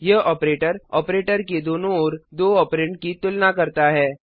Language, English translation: Hindi, This operator compares the two operands on either side of the operator